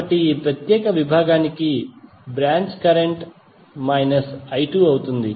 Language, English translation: Telugu, So for this particular segment the branch current would be I1 minus I2